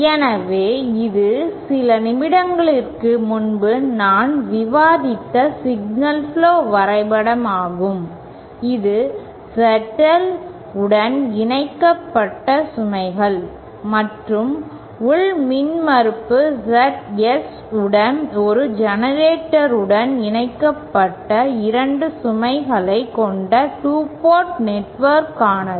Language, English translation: Tamil, So, this was the signal flow graph diagram that I had discussed a few minutes ago, this is for a 2 port network with both the loads connected to ZL and source connected to a generator with internal impedance ZS